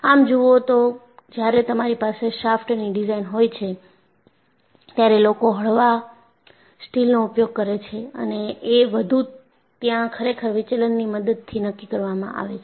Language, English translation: Gujarati, And if you really look at, when you have a shaft design, people go for mild steel and there it is actually dictated by the deflection